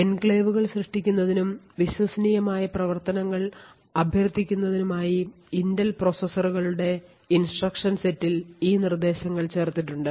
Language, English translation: Malayalam, So, these instructions have been added on the instruction set of the Intel processors in order to create enclaves invoke trusted functions and so on